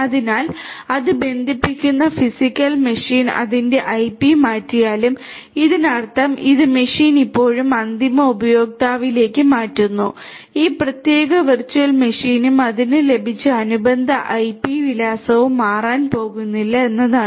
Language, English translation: Malayalam, So, even if the physical machine to which it connects to changes it is IP; that means it changes it is machine still to the end user this particular virtual machine and the corresponding IP address that it has got is not going to change